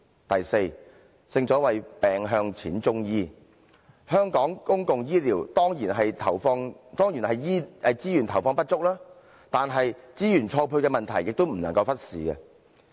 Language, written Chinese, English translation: Cantonese, 第四，正所謂病向淺中醫，香港公共醫療的資源投放當然是不足，但資源錯配的問題也不能忽視。, Fourth as the saying goes early intervention is the best cure of diseases . It is true that resources invested in public healthcare in Hong Kong are insufficient yet the problem of resource mismatch should not be overlooked